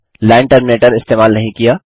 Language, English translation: Hindi, Didnt use the line terminator